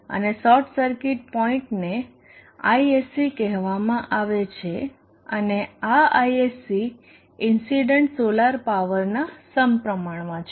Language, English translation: Gujarati, And the short circuit point is called Isc and this Isc is proportional to the incident solar power